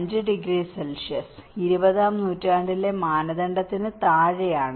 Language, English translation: Malayalam, 5 degrees Celsius, below the 20th century norm let us call a 4